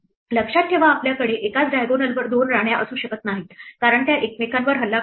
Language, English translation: Marathi, Remember we cannot have two queens on the same diagonal because, they would attack each other